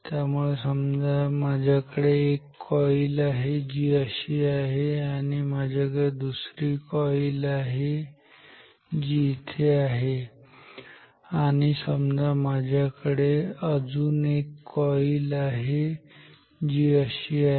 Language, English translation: Marathi, So, I have say one coil, which is like this and see I have another coil which is here and let me have another coil, which is like this ok